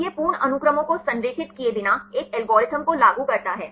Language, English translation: Hindi, So, this implements an algorithm without aligning the complete sequences